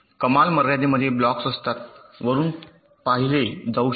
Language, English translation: Marathi, ceiling contains the blocks which can be seen from the top